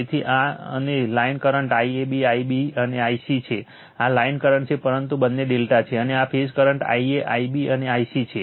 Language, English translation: Gujarati, So, and this is the line current I a, I b, I c, this is the line current but both are delta and these are the phase current I b I b Ic